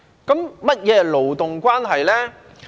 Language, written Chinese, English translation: Cantonese, 何謂勞動關係呢？, What is meant by labour relationship?